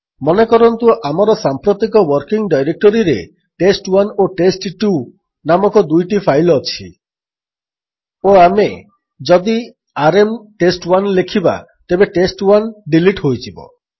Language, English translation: Odia, Suppose we have two files, test1 and test2 in our present working directory and if we fire rm test1, test1 is silently deleted